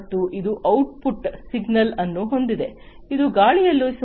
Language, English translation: Kannada, And also it has the output signal, which is about 0